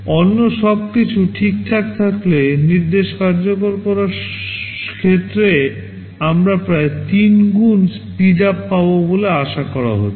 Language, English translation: Bengali, If everything else is fine, we are expected to get about 3 times speedup in terms of instruction execution